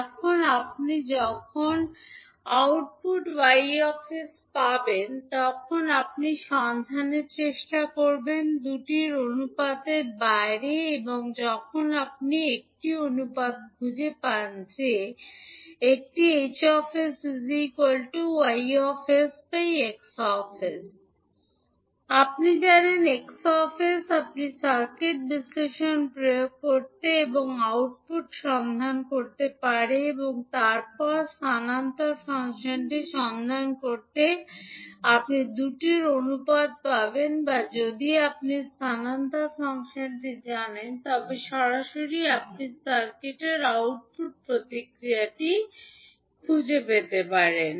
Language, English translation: Bengali, Now when you get the output Y s, then you will try to find out the ratio of the two and when you find out the ratio that is a H s equal to Y s upon X s, you know X s, you can apply the circuit analysis and find the output and then you obtain the ratio of the two to find the transfer function